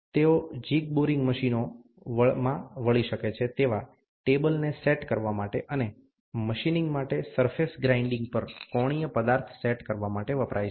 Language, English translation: Gujarati, They are also used to set inclinable tables of jig boring machine, and angular jobs on surface grinding for machining